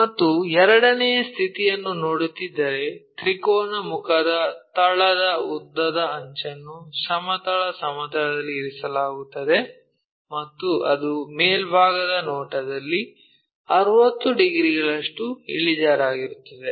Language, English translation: Kannada, And second condition if we are seeing, the longer edge of the base of the triangular face lying on horizontal plane and it is inclined 60 degrees in the top view